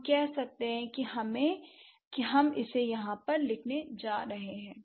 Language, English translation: Hindi, We are going to write it over here